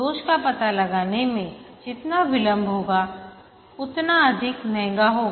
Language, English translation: Hindi, The more delay occurs in detecting the defect, the more expensive it will be